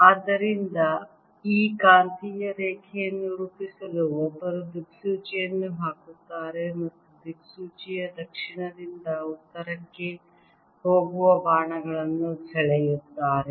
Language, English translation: Kannada, so to plot these magnetic lines, one puts a compass and draws arrows going from south to north of the compass